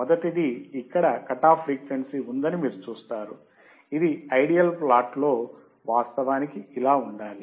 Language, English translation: Telugu, First is that you see there is cut off frequency here, it should have actually been like this in the ideal plot